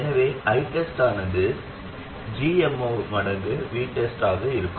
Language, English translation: Tamil, So I test will be GM0 times V test